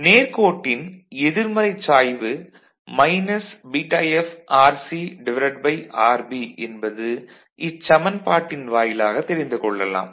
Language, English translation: Tamil, Straight line with a negative slope of what minus βFRC by RB is it fine